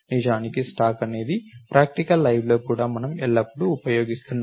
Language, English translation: Telugu, In fact, a stack is something that we are always using even in practical live